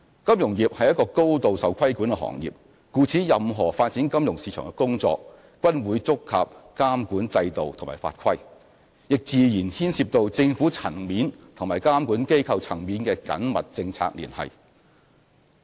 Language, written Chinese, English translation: Cantonese, 金融業是高度受規管的行業，故此任何發展金融市場的工作，均會觸及監管制度及法規，亦自然牽涉政府層面及監管機構層面的緊密政策聯繫。, The financial industry is highly regulated industry and thus any attempts to develop the financial market will inevitably involve regulatory regimes and regulations and also close policy liaison between the Government and regulatory bodies